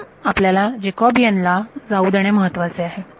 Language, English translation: Marathi, So, it is important that you let the Jacobian